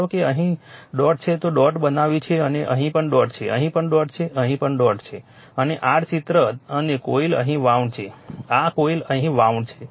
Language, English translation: Gujarati, Suppose if dot is here here you have make the dot and here also dot is there here also dot is there here also dot is there right and your your illustration of dot and coils are wound here right or the coils are wounds here